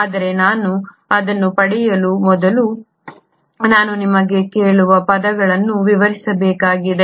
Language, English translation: Kannada, But before I get to that, I need to explain you a few terms